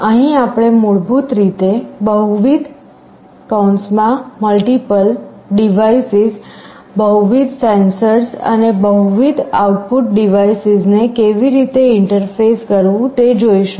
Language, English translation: Gujarati, Here we shall basically be looking at how to interface multiple devices, multiple sensors and multiple output devices